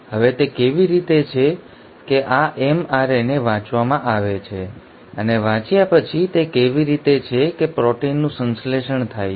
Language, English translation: Gujarati, Now how is it that this mRNA is read, And having read how is it that the protein is synthesised